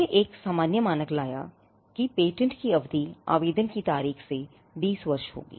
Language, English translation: Hindi, It brought a common standard that the term of a patent shall be 20 years from the date of application